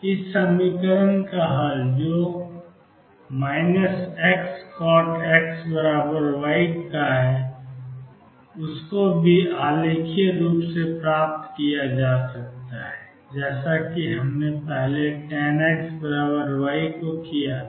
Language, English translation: Hindi, Solution of this equation that is minus x cotangent x equals y can also be obtained graphically as we did earlier for tangent x equals y